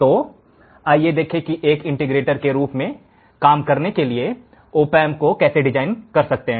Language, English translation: Hindi, So, let us see how you can design an opamp to work it as an integrator